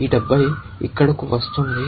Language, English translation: Telugu, This 70 is coming here